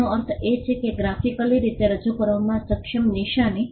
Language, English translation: Gujarati, It means a mark capable of being represented graphically